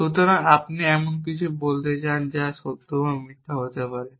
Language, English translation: Bengali, So, what do you mean by something which can be true or false